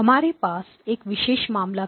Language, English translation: Hindi, We had a special case